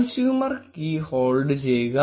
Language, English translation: Malayalam, Get hold of the consumer key